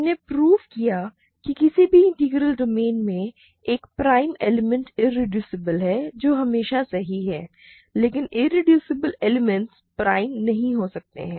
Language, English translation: Hindi, We proved that in any integral domain, a prime element is irreducible that is automatically true, but irreducible elements may not be prime